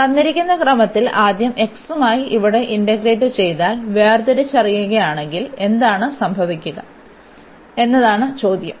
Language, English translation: Malayalam, The question is now if we differentiate if we integrate here with respect to x first in the given order, then what will happen